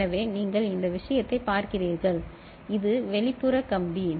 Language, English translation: Tamil, So, you see this thing, this is external wire